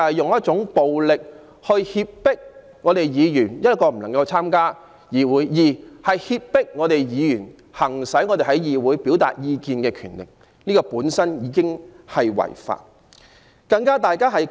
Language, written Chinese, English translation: Cantonese, 示威者以暴力脅迫議員，使議員不能參加會議，亦剝奪議員行使議會表達意見的權力，這些行為本身已屬違法。, Protesters threatened Members with violence and prevented them from attending meetings and deprived Members of their power to express their views in the Council . Such acts per se constitute an offence